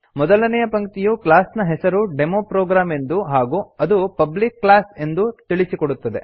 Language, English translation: Kannada, The first line indicates that the class name is DemoProgram and its a Public class The second line indicates that this is the main method